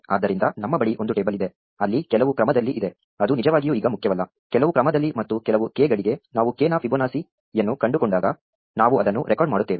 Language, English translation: Kannada, So, we have a table where in some order, it does not really matter for now; in some order as and when we find Fibonacci of k for some k, we just record it